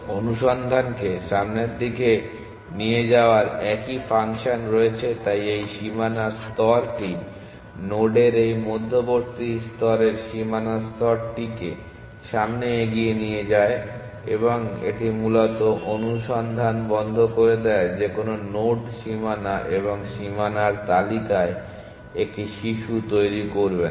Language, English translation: Bengali, It has a same function of pushing the search in the forward direction, so this boundary layer this intermediate layer of nodes the boundary layer and it basically stops the search from coming back any node will not generate a child in boundary and the boundary list